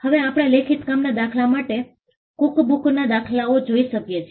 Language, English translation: Gujarati, Now, we can look at an instance of a written work for instance a cookbook